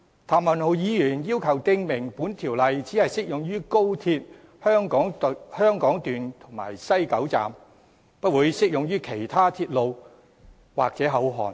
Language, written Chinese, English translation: Cantonese, 譚文豪議員要求訂明本條例只適用高鐵香港段及西九龍站，不會適用於其他鐵路或口岸。, Mr Jeremy TAM seeks to provide that the Ordinance will only apply to the Hong Kong Section of XRL and West Kowloon Station WKS but not to any other railway or port